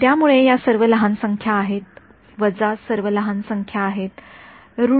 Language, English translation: Marathi, So, these are all numbers which are small right minus 2 by 5 is minus 0